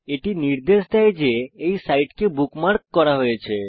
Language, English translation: Bengali, This indicates that this site has been bookmarked